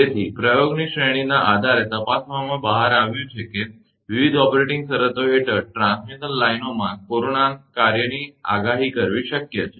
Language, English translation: Gujarati, So, investigation on the basis of series of experiment reveal, that it is possible to predict corona performance of transmission lines under various operating conditions